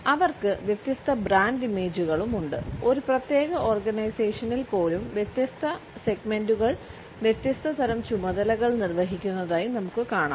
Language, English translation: Malayalam, They also have different brand images and even within a particular organization we find that different segments perform different type of duties